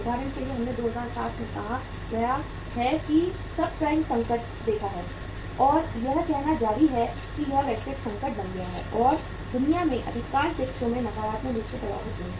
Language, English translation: Hindi, For example we have seen the uh say subprime crisis in 2007 and that say continued and that it became a global crisis and most of the countries in the in the world were affected negatively